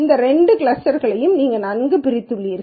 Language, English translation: Tamil, Then you have clearly these two clusters very well separated